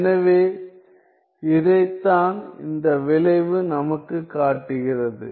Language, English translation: Tamil, So, this is what the result shows us